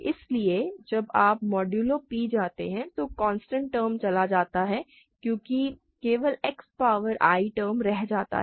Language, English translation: Hindi, So, when you go modulo p the constant term goes away because the only X power i term survives